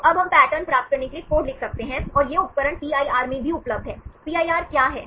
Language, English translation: Hindi, So, now this we can write a code to get the pattern, and also this tool is available in the PIR; what is PIR